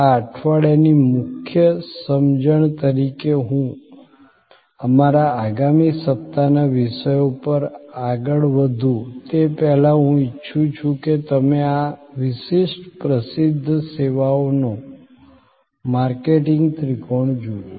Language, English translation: Gujarati, Before I move to our next week’s topics as a key understanding of this week I would like you to look at this particular famous services marketing triangle